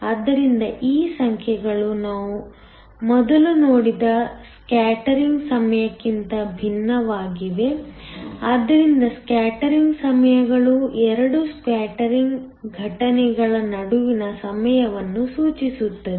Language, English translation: Kannada, So, these numbers are different from the scattering times that we saw earlier so, scattering times refers to the time between 2 scattering events